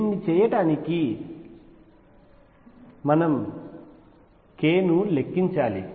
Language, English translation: Telugu, To do this we need to count k